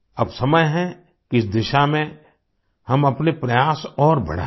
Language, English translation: Hindi, Now is the time to increase our efforts in this direction